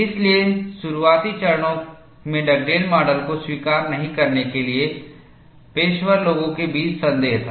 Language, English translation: Hindi, So, there was skepticism among the practitioners, not to accept Dugdale model, in the initial stages